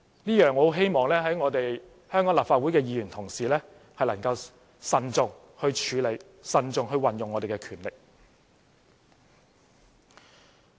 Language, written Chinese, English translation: Cantonese, 我十分希望香港立法會的議員同事能夠慎重處理、慎重運用我們的權力。, I hope very much that Members of the Legislative Council in Hong Kong can handle and use their powers in a prudent manner